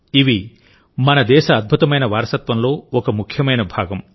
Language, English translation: Telugu, It is an important part of the glorious heritage of our country